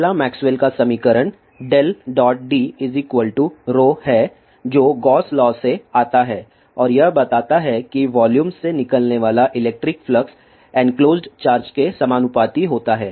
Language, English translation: Hindi, The first Maxwell's equation is del dot D is equal to rho which comes from Gauss law and it a states that the electric flux leave in from a volume is proportional to the charge enclosed